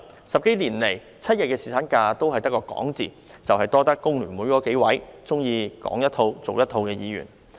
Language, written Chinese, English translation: Cantonese, 十多年來 ，7 日侍產假只有說的份兒，多虧工聯會數位喜歡"說一套做一套"的議員。, For more than a decade seven - day paternity leave has been just all talk thanks to several Members from the Hong Kong Federation of Trade Unions FTU who like saying one thing and doing another